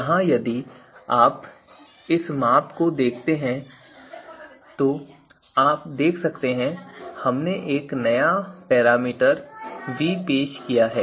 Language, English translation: Hindi, Here if you look at this measure so we have introduced a new parameter here